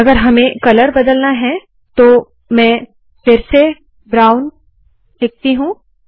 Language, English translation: Hindi, Of course, what if I want to change the color, then you put brown once again